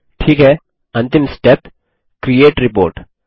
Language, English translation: Hindi, Okay, last step Create Report